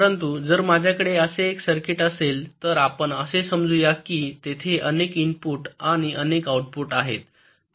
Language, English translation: Marathi, but if i have a circuit like this, well, lets say, there are multiple inputs and also multiple outputs